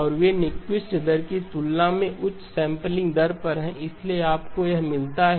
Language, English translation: Hindi, And they are at a higher sampling rate than the Nyquist rate and therefore you get this